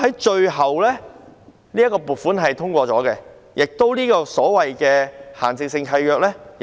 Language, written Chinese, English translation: Cantonese, 最後，這筆撥款獲得通過，亦修改了這份限制性契約。, The funding proposal was approved eventually and the DRC was modified as well